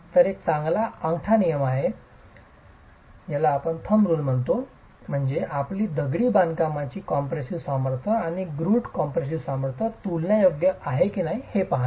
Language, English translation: Marathi, So, a good thumb rule is to see if your masonry compressive strength and the grout compressive strength are comparable